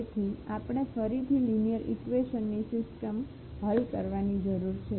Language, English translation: Gujarati, So, we need to solve again the system of linear equations